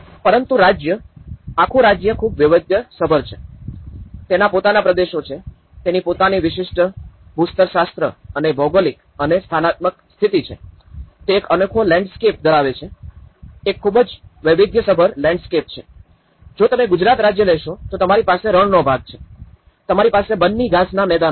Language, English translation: Gujarati, But the state; whole state is very diverse, it has its own regions, it has his own unique geological and geographical and topographical conditions, it has unique landscape; is a very diverse landscape, if you take Gujarat state, you have the desert part of it; you have the Banni grasslands part of it